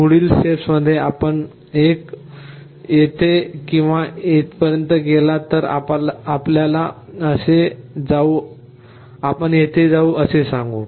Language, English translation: Marathi, Next step you either go up here or here, let us say you go here like this